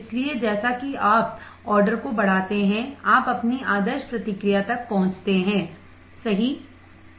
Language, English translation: Hindi, So, as you increase the order you reach your ideal response correct